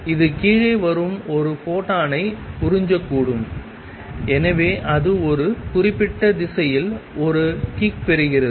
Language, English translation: Tamil, It may absorb a photon from wave coming down and therefore, it gets a kick in certain direction